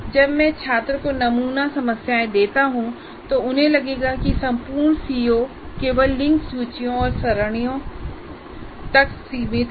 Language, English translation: Hindi, So when I give sample problems to the students, they will feel that the entire CO is only constrained to linked list and arrays